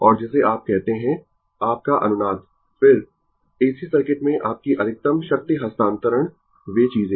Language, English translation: Hindi, And what you call that your resonance then, your maximum power transfer in AC circuit; those things